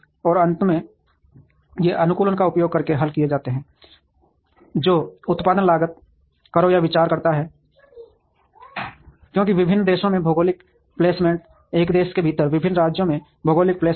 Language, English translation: Hindi, And finally, these are solved using optimization that considers production costs, taxes, because geographic placement across different countries, geographic placement across different states within a country